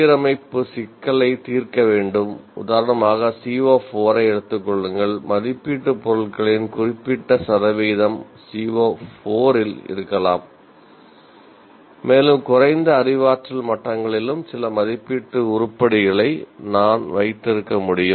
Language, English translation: Tamil, For example, I can have take C O 4, certain percentage of assessment items can be in C O 4 and I can still have some assessment items in the lower cognitive levels as well